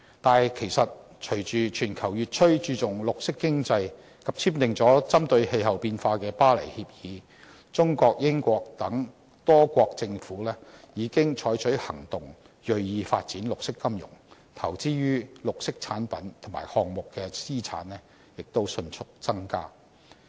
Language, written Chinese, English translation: Cantonese, 但是，隨着全球越趨注重綠色經濟，多國簽訂了針對氣候變化的《巴黎協議》，中國、英國等多國政府已經採取行動，銳意發展綠色金融，投資於綠色產品及項目的資產也迅速增加。, However as the world places increasing emphasis on green economy many countries have signed the Paris Agreement which targets climate change . China the United Kingdom and many other countries have got in on the act commit themselves to developing green finance and the assets they invest in green products and projects accelerate rapidly